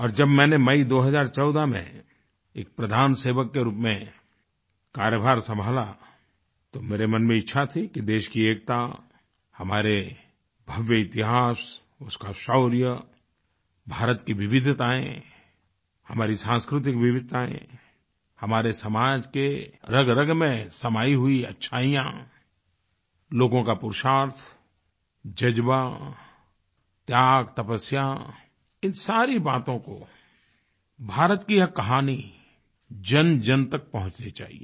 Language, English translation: Hindi, And in 2014, when I took charge as the Pradhan Sevak, Principal Servant, it was my wish to reach out to the masses with the glorious saga of our country's unity, her grand history, her valour, India's diversity, our cultural diversity, virtues embedded in our society such as Purusharth, Tapasya, Passion & sacrifice; in a nutshell, the great story of India